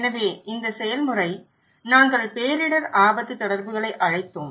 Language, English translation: Tamil, So, this process, we called disaster risk communications